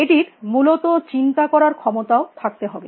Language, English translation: Bengali, It must be able to think also essentially